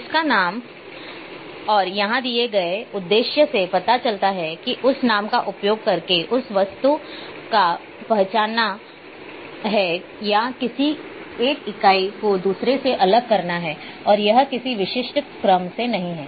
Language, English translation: Hindi, Described by it is name and the purpose here is to identify that object using that name or distinguish one entity from another and no it’s specific order